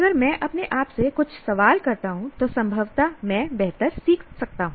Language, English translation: Hindi, If I ask a few questions to myself, then possibly I can learn better